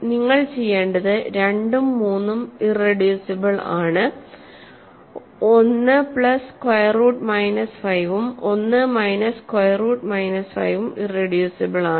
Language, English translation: Malayalam, So, what you have to do is 2 and 3 are irreducible, 1 plus square root minus 5 and 1 minus square root minus 5 are irreducible